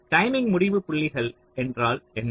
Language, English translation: Tamil, so what is the timing endpoints